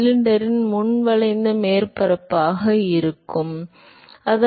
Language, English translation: Tamil, That is the frontal area that is the front curved surface of the cylinder